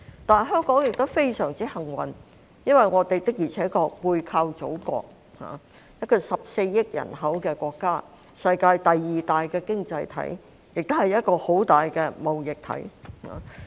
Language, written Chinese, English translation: Cantonese, 但是，香港亦非常幸運，因為我們的確背靠祖國，一個有14億人口的國家、世界第二大經濟體，也是一個很大的貿易體。, However Hong Kong is very fortunate to have the backing of our Motherland which has a population of 1.4 billion and is the second largest economy in the world and a very large trading body as well